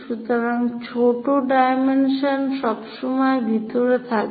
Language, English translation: Bengali, So, smaller dimensions are always be inside